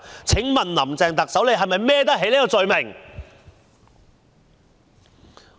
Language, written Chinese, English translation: Cantonese, 請問特首是否能背得起這個罪名？, Can the Chief Executive bear such accusations?